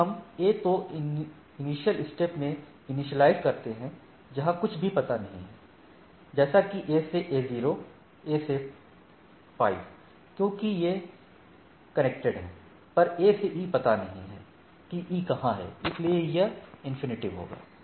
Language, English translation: Hindi, So, if we initialize at the initialization at the initial step for A, where nothing is known say A starts up so, for A to A 0, A to 5 because, these are connected but, A to E, A doesn’t know where E is so, it is infinity